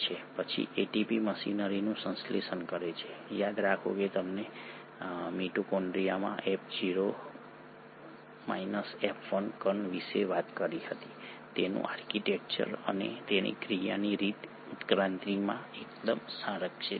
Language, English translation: Gujarati, Then the ATP synthesising machinery; remember we spoke about the F0 F1 particle in the mitochondria, its architecture and its mode of action is fairly conserved across evolution